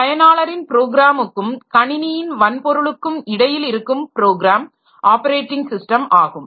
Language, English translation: Tamil, So operating system is a program that acts as an intermediary between a user of a program and the computer hardware